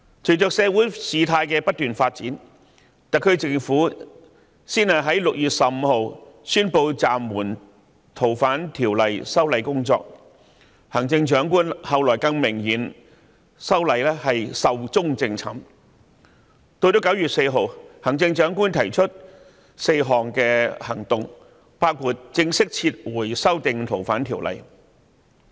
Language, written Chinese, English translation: Cantonese, 隨着事態不斷發展，特區政府先在6月15日宣布暫緩《逃犯條例》的修例工作，行政長官後來更明言《條例草案》已經"壽終正寢"，其後再於9月4日提出4項行動，包括正式撤回對《逃犯條例》的修訂。, As the situation continued to develop the SAR Government announced on 15 June that the legislative exercise concerning FOO was suspended . Later the Chief Executive clearly announced that the bill is dead . On 4 September she mentioned four actions including formally withdrawing the FOO amendment